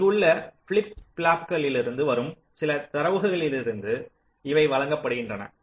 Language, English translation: Tamil, ok, these are fed from some data coming from flip flops here and the output is also going in the flip flop